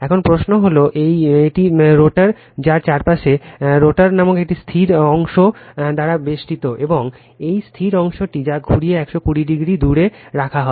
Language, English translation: Bengali, Now, question is that so this is a rotor, surrounded by a static part called rotor and this static part that winding are placed 120 degree apart right